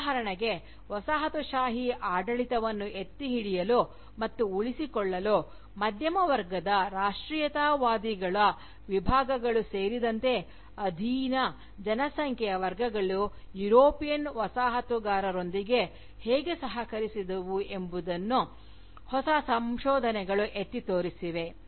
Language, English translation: Kannada, For instance, new research has highlighted, how sections of the subjugated population, including sections of Middle Class Nationalists, collaborated with the European Colonisers, to uphold and sustain the Colonial rule